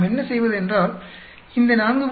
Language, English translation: Tamil, What we do is, we take this 4